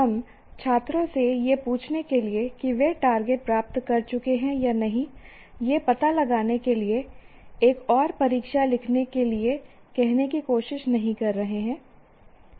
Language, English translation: Hindi, We are not trying to ask the students to write yet another test to find out whether they have attained the targets or not